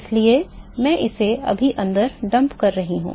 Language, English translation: Hindi, So, I am just dumping it inside